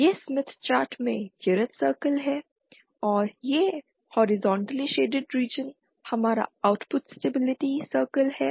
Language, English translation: Hindi, This is the unit circle in the smith chart and this horizontally shaded region is our output stability circle